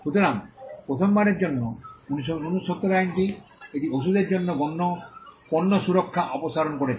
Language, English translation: Bengali, So, the 1970 act for the first time, it removed product protection for medicines